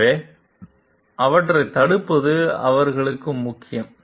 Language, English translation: Tamil, So, it is important for them to prevent them